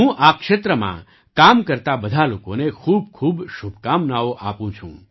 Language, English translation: Gujarati, I wish all the very best to all the people working in this field